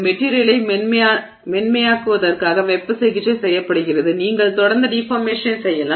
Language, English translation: Tamil, So, heat treatment is done to make the material softer so you can continue to do the deformation